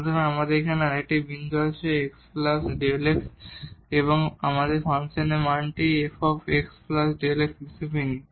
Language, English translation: Bengali, So, we have another point here x plus delta x and we take the value of the function as f x plus delta x